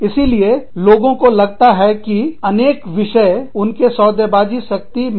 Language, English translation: Hindi, So, various issues, that people feel, can hamper their, bargaining powers